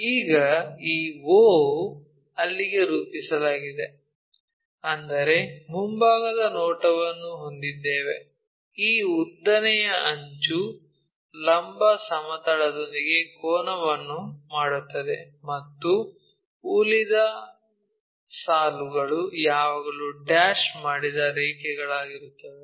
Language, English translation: Kannada, Now, this o maps to there join that that means, we have a front view where this longer edge makes an angle with the vertical plane, and the remaining lines it will always be dashed lines